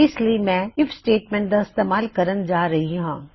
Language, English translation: Punjabi, For this I am going to use an IF statement